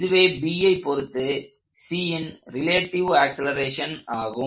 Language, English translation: Tamil, This is the relative acceleration of C as observed by B